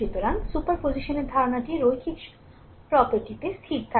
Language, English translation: Bengali, So, idea of superposition rests on the linearity property right